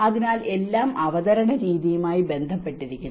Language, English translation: Malayalam, So, it is all to do with the manner of presentation